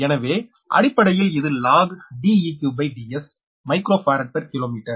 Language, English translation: Tamil, so it is basically log d e q upon d s microfarad per kilometer